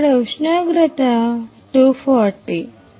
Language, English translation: Telugu, The temperature here is 240